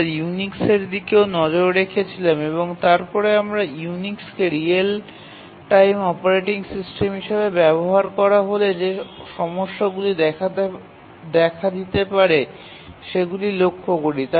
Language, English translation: Bengali, We looked at Unix and then we looked at what problems may occur if Unix is used as a real time operating system